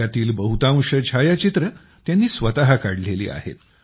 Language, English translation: Marathi, Most of these photographs have been taken by he himself